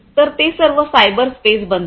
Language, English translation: Marathi, So, that becomes the cyberspace